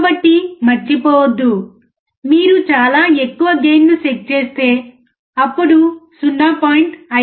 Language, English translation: Telugu, So, do not forget, if you set a gain extremely high, then even 0